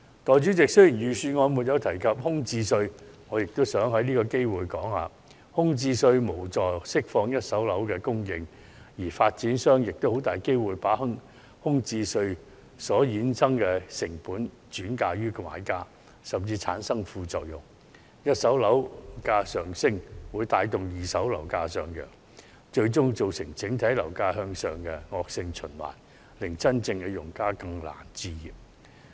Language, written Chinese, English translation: Cantonese, 代理主席，雖然預算案沒有提及空置稅，我亦想藉此機會指出，空置稅無助釋放一手樓供應，反會令發展商把空置稅所衍生的成本轉嫁予買家，甚至使一手樓價上升或會帶動二手樓價上揚，最終造成整體樓價向上的惡性循環，令真正用家更難置業。, Deputy President while the Budget has made no mention of the vacancy tax I would like to take this opportunity to point out that this tax will not help free up supply of first - hand properties . On the contrary it will result in developers passing the costs from the vacancy tax onto the buyers . This can further lead to price rise in first - hand and second - hand properties and a vicious cycle of ever - increasing housing prices that will make home ownership even harder for real home buyers